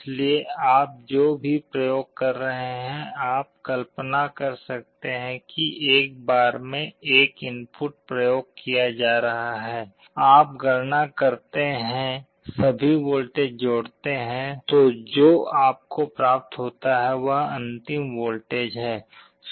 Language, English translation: Hindi, So, whatever you are applying you may imagine that one input is being applied at a time, you calculate, add all the voltages up you will be getting the final voltage